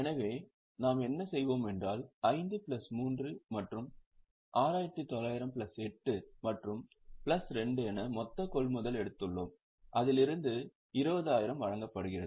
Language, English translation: Tamil, So, what we have done is we have taken total purchases which is 5 plus 3 plus 6,900 plus 8 and plus 2 from which 20,000 are issued